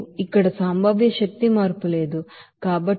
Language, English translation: Telugu, There is no potential energy change here